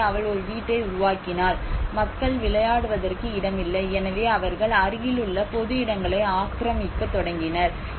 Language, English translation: Tamil, So then she developed a house, there were no place for people to play around so they have started encroaching the public places nearby